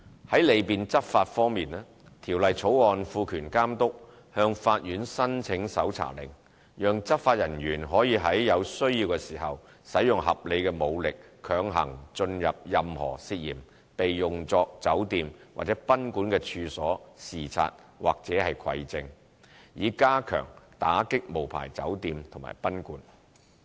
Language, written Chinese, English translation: Cantonese, 在利便執法方面，《條例草案》賦權監督向法院申請搜查令，讓執法人員可在有需要時使用合理武力強行進入任何涉嫌被用作酒店或賓館的處所視察或蒐證，以加強打擊無牌酒店及賓館。, With regards to facilitating enforcement actions the Bill empowers the Authority to apply to the Court for a search warrant to allow enforcement officers to enter into or break into with reasonable force when necessary a suspected unlicensed hotel or guesthouse to collect evidence with a view to enhancing enforcement actions against unlicensed hotels and guesthouses